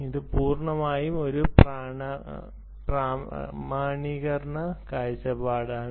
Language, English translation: Malayalam, this is purely form a authentication perspective